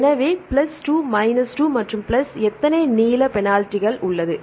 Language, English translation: Tamil, So, plus 2 into minus 2 right and plus how many length penalties